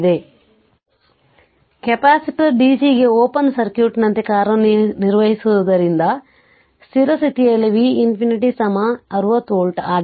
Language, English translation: Kannada, Now, since the capacitor acts like an open circuit to dc, at the steady state V infinity is equal to 60 volt